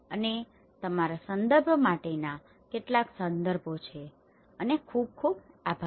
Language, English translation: Gujarati, And these are some of the references for your reference and thank you very much